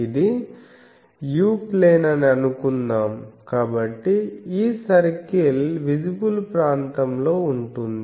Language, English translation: Telugu, Suppose, this is u plane, so you draw the visible always this circle will be covering the visible region